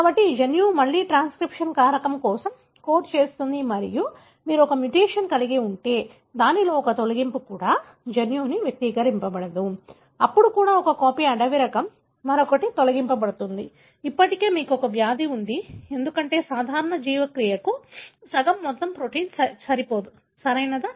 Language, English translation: Telugu, So, this gene again codes for a transcription factor and if you have a mutation, in which even a deletion, the gene is not expressed, even then just one copy wild type, other one is deleted, still you would have the disease, because the half the amount of protein is not good enough for a normal biological function, right